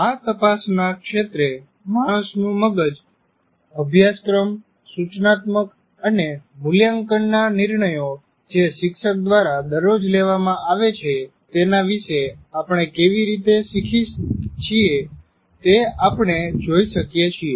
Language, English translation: Gujarati, This field of inquiry looks at how we are learning about the human brain can affect the curricular, instructional and assessment decisions that teachers make every day